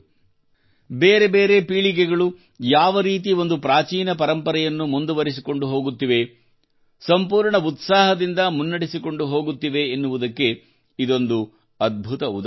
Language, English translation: Kannada, This is a wonderful example of how different generations are carrying forward an ancient tradition, with full inner enthusiasm